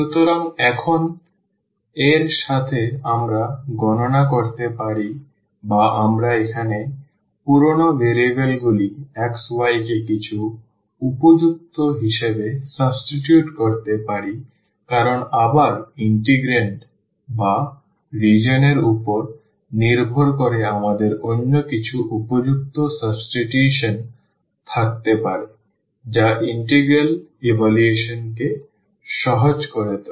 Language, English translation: Bengali, So, with this now we can compute or we can substitute the old variables here x y to some suitable because depending on again the integrand or the region r we may have some other suitable substitution, which makes the integral evaluation easier